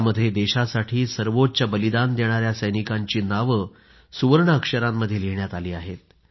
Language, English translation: Marathi, This bears the names of soldiers who made the supreme sacrifice, in letters of gold